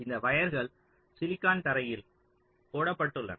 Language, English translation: Tamil, now this wires are laid out on the silicon floor